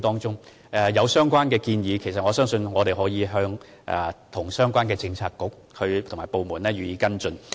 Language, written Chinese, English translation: Cantonese, 若議員有任何建議，我們可與相關政策局和部門作出跟進。, If Members have any specific proposals we can follow up with the bureaux and departments concerned